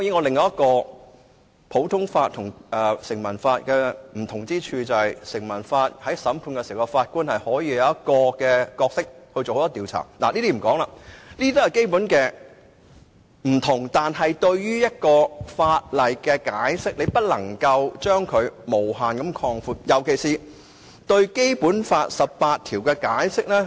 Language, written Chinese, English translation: Cantonese, 另一個普通法和成文法的不同之處，在於根據成文法進行審判時，法官可以擔當調查角色，這也是基本差異，但在解釋法例方面，卻不能無限擴闊，尤其對《基本法》第十八條的解釋。, Another difference between common law and statue law is that the Judge can play an investigative role during a trial and this is also another fundamental difference . Insofar as the interpretation of legislation is concerned however infinite extension is out of the question especially when it comes to interpretation of Article 18 of the Basic Law